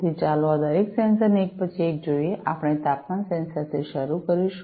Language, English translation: Gujarati, So, let us look at each of these sensors one by one so, we will start with the temperature sensor